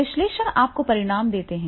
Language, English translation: Hindi, Analysis gives you the results